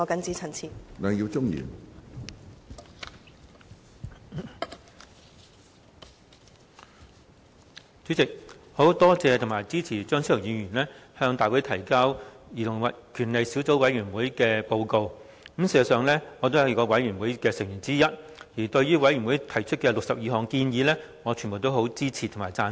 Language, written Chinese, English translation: Cantonese, 主席，我感謝及支持張超雄議員向大會提交兒童權利小組委員會的報告，事實上，我也是該小組委員會的成員之一，對於小組委員會提出的62項建議，我全部也支持及贊成。, President I wish to express my gratitude and support to Dr Fernando CHEUNG for presenting the Report of the Subcommittee on Childrens Rights to the Council . In fact I am also a member of the Subcommittee and regarding the 62 recommendations made by the Subcommittee I support and agree with all of them